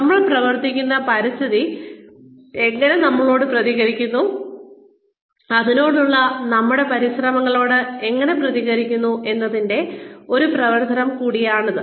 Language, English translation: Malayalam, It is also a function of, how the environment that we function in, responds to us, responds to our efforts, towards it